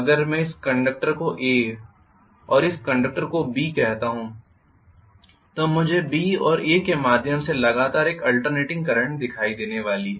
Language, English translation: Hindi, If I call this conductor as A and this conductor as B I am going to see an alternating current continuously going through B and A